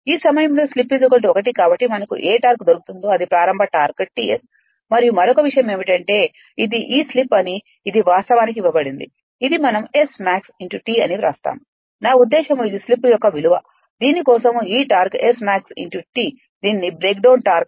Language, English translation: Telugu, So, we will find whatever torque it is this is the starting torque T S right and another another thing is that that this is the this slip it is it is actually given it is right like we write like this is S max T; I mean this is the value of slip for which that this torque is maximum this this is called breakdown torque right